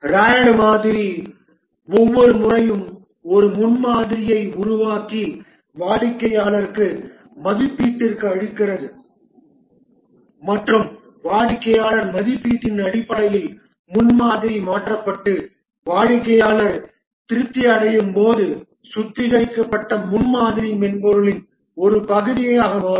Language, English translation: Tamil, The Rad model model each time constructs a prototype and gives to the customer for evaluation and based on the customer evaluation the prototype is changed and as the customer gets satisfied the refined prototype becomes the part of the software